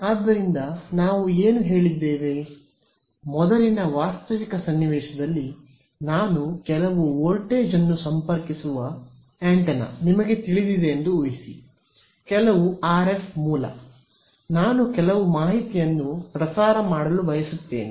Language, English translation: Kannada, So, what we said earlier was that in a realistic scenario imagine you know an antenna I connect some voltage source to it ok, some RF source, I wanted to broadcast some information